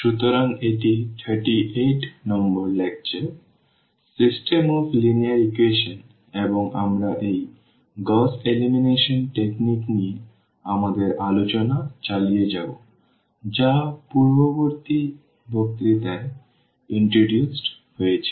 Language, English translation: Bengali, So, this is lecture number 38, on System of Linear Equations and we will continue our discussion on this Gauss Elimination technique which was introduced in previous lecture